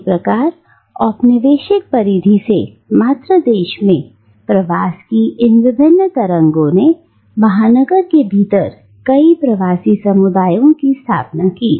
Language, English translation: Hindi, Now, these various waves of migration from the colonial periphery to the mother country established a number of diasporic communities within the metropolis